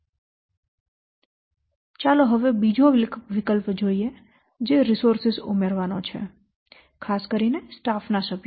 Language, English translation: Gujarati, Now let's see the second option that is this adding resources especially the staff members